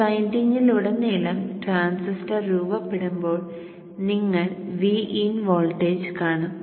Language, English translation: Malayalam, And across this winding when the transistor is on you will see a voltage of V in